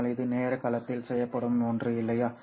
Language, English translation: Tamil, But this is something that is done in the time domain, right